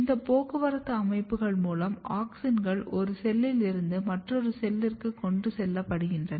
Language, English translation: Tamil, So, through these transport systems auxins are being transported from one cell to another cells